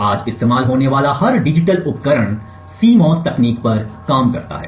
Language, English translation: Hindi, Now every digital device that is being used today works on CMOS technology atleast